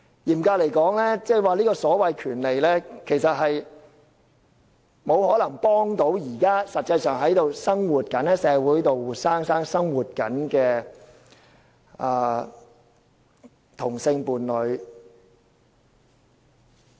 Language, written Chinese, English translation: Cantonese, 嚴格來說，這種權利其實並不可能幫助現時實際在社會上生活的同性伴侶。, Strictly speaking this right cannot possibly be of any help to same - sex partners currently living in society